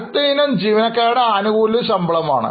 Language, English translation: Malayalam, The next item is employee benefit expenses